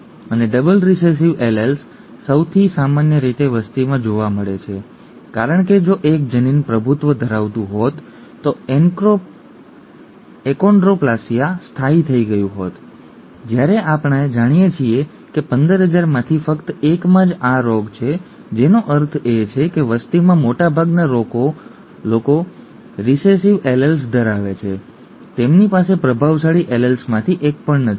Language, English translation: Gujarati, And double recessive alleles are most commonly found in the population because if one allele had been dominant, the achondroplasia would have settled whereas we know that only 1 in 15,000, are have the disease which means most in the population do not have rather they have recessive alleles they have they do not even have one of the dominant alleles